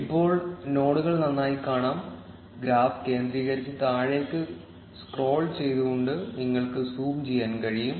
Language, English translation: Malayalam, Now, the nodes are better visible you can zoom in by centering the graph and then scrolling down